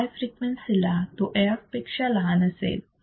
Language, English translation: Marathi, At high frequency, it will be less than AF